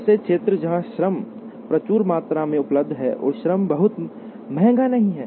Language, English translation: Hindi, Areas where labor is abundantly available and labor is not very costly